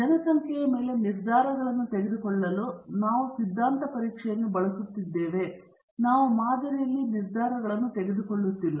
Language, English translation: Kannada, We are using the hypothesis testing to make decisions on the population; we are not making decisions on the sample